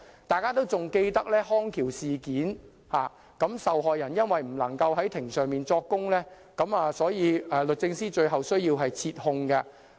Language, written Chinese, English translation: Cantonese, 大家仍然記得"康橋之家"事件，由於受害人不能在庭上作供，所以律政司最後必須撤控。, Members should still recall the incident of Bridge of Rehabilitation Company in which DoJ eventually had to withdraw prosecution because the victim was unable to give evidence in court proceedings